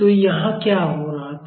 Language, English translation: Hindi, So, what was happening here